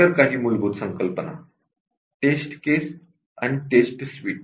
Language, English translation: Marathi, There are few other basic concepts at test case and a test suite